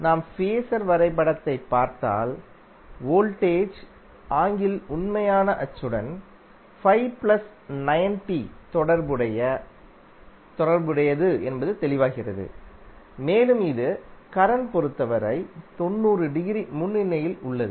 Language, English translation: Tamil, So if you see the phasor diagram it is clear that voltage is having 90 plus Phi with respect to real axis and it is having 90 degree leading with respect to current